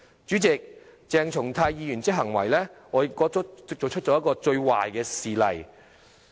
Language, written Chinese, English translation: Cantonese, 主席，鄭松泰議員的行為，我覺得是作出了一個最壞的示例。, President I think that the behaviour of Dr CHENG Chung - tai has set the worst possible precedent